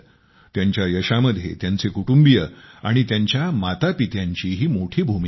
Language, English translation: Marathi, In their success, their family, and parents too, have had a big role to play